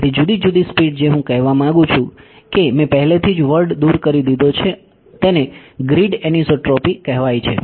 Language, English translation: Gujarati, So, different speeds I am want to say I have already given the word away this is called grid anisotropy